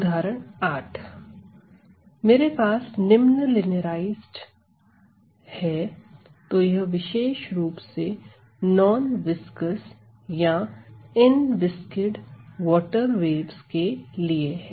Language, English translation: Hindi, So, I have the following linearized; so, this is for particularly for non viscous or inviscid water waves ok